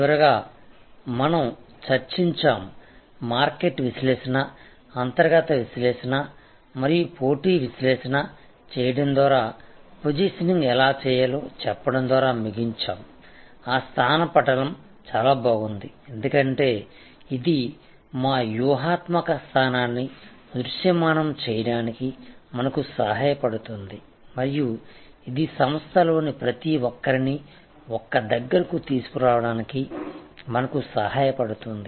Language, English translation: Telugu, And lastly we discussed, how to do the positioning by doing market analysis internal analysis and competitive analysis and we concluded by saying, that positioning map is very good, because it helps us to visualise our strategic position and it helps us to bring everybody on the same page within the organization and it helps us portray to the customer, what we stand for